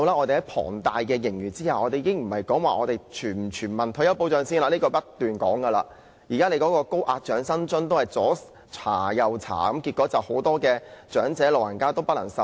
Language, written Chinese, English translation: Cantonese, 且不說我們不斷提出的全民退休保障，在有龐大盈餘的情況下，長者申請高額長者生活津貼仍要審查，令很多長者不能受惠。, Leaving universal retirement protection that we have been striving for aside even with the substantial surplus many elderly people still cannot benefit from the Higher Old Age Living Allowance due to the means test